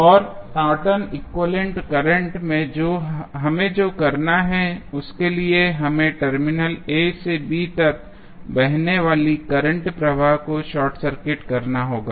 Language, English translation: Hindi, And for the Norton's equivalent current I n what we have to do, we have to short circuit the current flowing from Terminal A to B